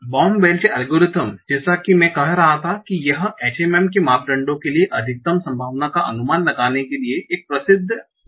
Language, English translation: Hindi, So, Wormwage algorithm, as I was saying, this is a well known EM algorithm to estimate the maximum likelihood for the parameters of the H M